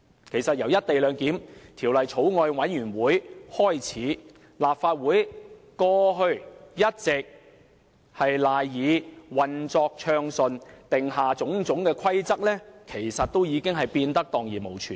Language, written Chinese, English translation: Cantonese, 其實由《廣深港高鐵條例草案》委員會成立開始，立法會過去一直賴以運作的種種規則，其實已蕩然無存。, Actually ever since the Bills Committee on Guangzhou - Shenzhen - Hong Kong Express Rail Link Co - location Bill started its work all the rules enabling this Council to function have already vanished into thin air